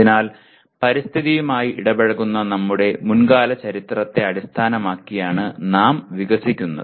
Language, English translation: Malayalam, So we develop based on our past history of interacting with environment